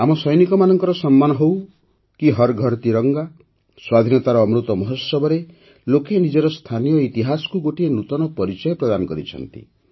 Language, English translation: Odia, Be it honouring our freedom fighters or Har Ghar Tiranga, in the Azadi Ka Amrit Mahotsav, people have lent a new identity to their local history